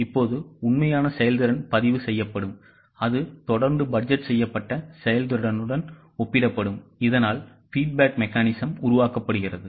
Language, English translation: Tamil, Now the actual performance will be recorded and that will be continuously compared with the budgeted performance so that a feedback mechanism is developed